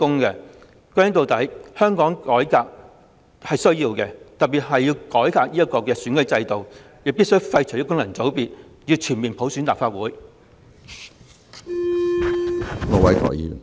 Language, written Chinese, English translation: Cantonese, 歸根結底，香港是需要改革的，特別是選舉制度，我們必須廢除功能界別及全面普選立法會。, After all Hong Kong needs reform especially reforms in the electoral system . We must abolish FCs and bring universal suffrage to the Legislative Council